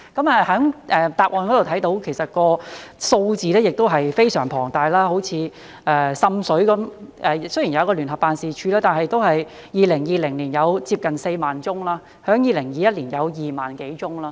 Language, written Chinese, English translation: Cantonese, 在答覆中看到，數字也是非常龐大，以滲水為例，雖然有聯辦處，但2020年都有接近4萬宗投訴，在2021年有2萬多宗。, As we can see from the reply the figures are large . Take water seepage as an example . Although there is JO there were nearly 40 000 complaints in 2020 and more than 20 000 in 2021